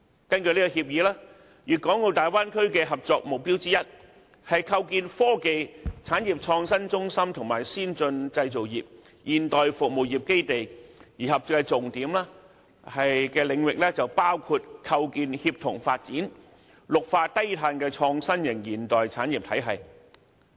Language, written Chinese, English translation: Cantonese, 根據這協議，粵港澳大灣區的合作目標之一，是構建科技、產業創新中心和先進製造業、現代服務業基地；而合作重點的領域包括構建綠化低碳的創新型現代產業體系。, According to the Agreement one of the objectives of the cooperation in the Bay Area is to set up a technology and innovation hub and establish the bases for advanced manufacturing industries and modern service industries . The major areas of cooperation include the establishment of an environmentally friendly low - carbon innovative and modern industrial system